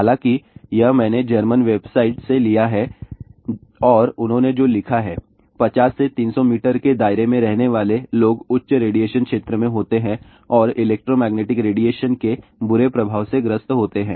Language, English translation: Hindi, However, this I have taken from one of the German website and what they have written; people living within 50 to 300 meter radius are in the high radiation zone and are more prone to ill effects of electromagnetic radiation